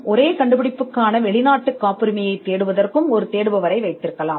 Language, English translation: Tamil, And you could also have another part searcher looking at a foreign patent for the same invention